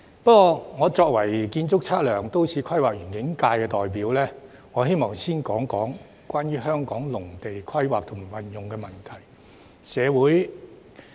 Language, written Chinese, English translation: Cantonese, 不過，我作為建築、測量、都市規劃及園境界代表，我希望先談談關於香港農地規劃及運用的問題。, However as a representative of the Functional Constituency―Architectural Surveying Planning and Landscape I would like to in the first place talk about the planning and use of agricultural land in Hong Kong